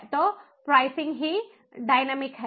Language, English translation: Hindi, so the pricing itself is dynamic